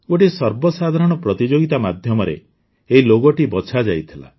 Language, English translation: Odia, This logo was chosen through a public contest